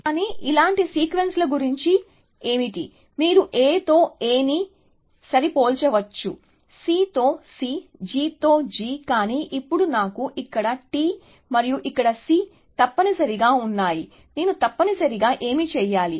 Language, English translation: Telugu, But, what about sequences like this, you can see that, I can match A with A; C with C; G with G; but now I have T here and a C here essentially, what do I do essentially